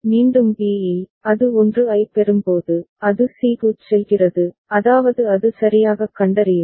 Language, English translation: Tamil, Again at b, when it receives a 1, it goes to c that means to be it is a properly detecting